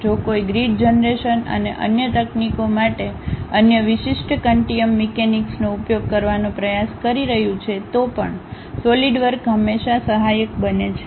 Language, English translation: Gujarati, Even if someone is trying to use other specialized continuum mechanics for the grid generation and other techniques, Solidworks always be helpful